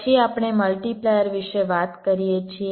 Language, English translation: Gujarati, then we talk about a multiplier